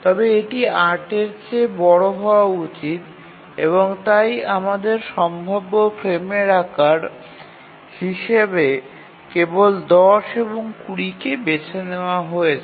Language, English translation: Bengali, But then it must be larger than 8 and therefore we have only 10 and 20 is the possible frame size